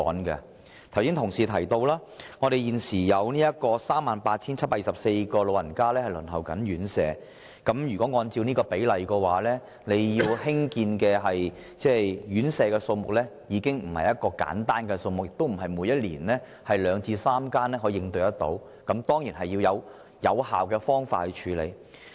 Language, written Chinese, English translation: Cantonese, 剛才已有議員提及，現時有 38,724 名長者正在輪候院舍宿位，按此比例計算，需要興建的院舍數目已經非常的不簡單，並非每年興建三數間院舍便可應付得到，必須採用有效的方法應對。, Some Members have already mentioned just now that there are currently 38 724 elderly persons waiting for residential care places and on this basis an astonishing number of residential care homes will have to be provided . We will not be able to tackle the problem by providing merely a few residential care homes every year and some effective measures will have to be adopted